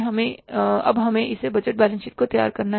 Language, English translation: Hindi, We will have to now say, prepare this balance sheet